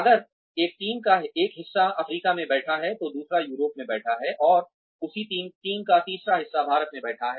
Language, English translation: Hindi, If, one part of a team is sitting in Africa, the other is sitting in Europe, and the third part of that team is sitting in India